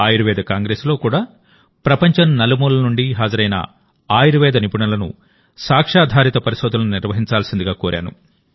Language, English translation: Telugu, Even in the Ayurveda Congress, I reiterated the point for evidence based research to the Ayurveda experts gathered from all over the world